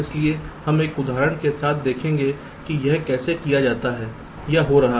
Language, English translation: Hindi, so we shall see with an example how it is done or it is happening